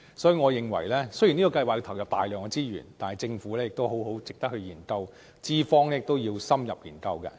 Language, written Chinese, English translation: Cantonese, 所以，我認為，雖然這計劃需要投入大量資源，但值得政府好好研究，資方亦要深入研究。, Therefore although the programme requires enormous resources it should be examined in depth by the Government and employers